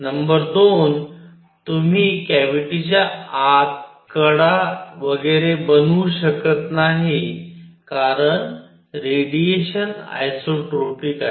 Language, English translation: Marathi, Number 2; you cannot make out the edges, etcetera, inside the cavity because the radiation is isotropic